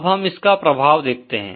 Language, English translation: Hindi, Now let us see the implications of this